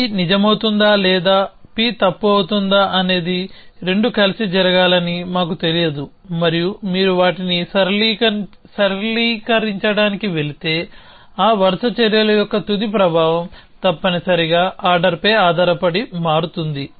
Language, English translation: Telugu, So, we do not know it both were to happen together whether P would be true or P would be false and, if you go to linearise them then the final effect of those sequential actions would change depending on the order essentially